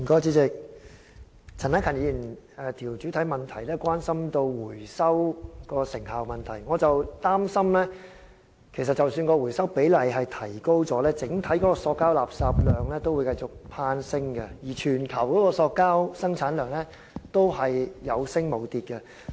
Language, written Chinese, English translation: Cantonese, 主席，陳克勤議員的主體質詢關心回收的成效問題，而我則擔心即使回收比例有所提高，整體的塑膠垃圾量亦會繼續攀升，而全球的塑膠生產量也是有升無跌的。, President Mr CHAN Hak - kans main question concerns the effectiveness of our recycling efforts . And I am concerned that even if the recovery rate has risen the overall plastic waste volume will likewise continue to increase and the volume of plastic production worldwide has also kept increasing instead of declining